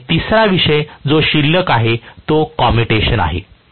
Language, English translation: Marathi, And the third topic that is left over still is commutation